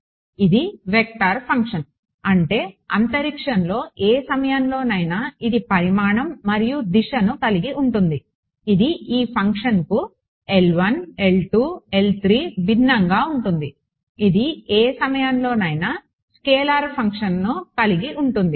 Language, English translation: Telugu, So, it is a vector function; that means, at any point in space it will have a magnitude and direction right unlike this function L 1 L 2 L 3 which at any point this has a magnitude the scalar function right